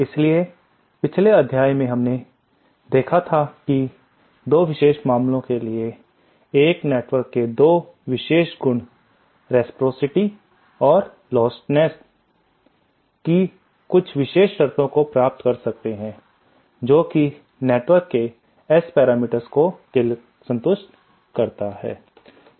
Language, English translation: Hindi, So we saw that in the previous module we had seen that for 2 special cases, 2 special properties of networks 1 is the reciprocity and the other is the lostlessness, we can derive some special conditions for the, that the S parameters of such networks should [Sa] should [Sat] satisfy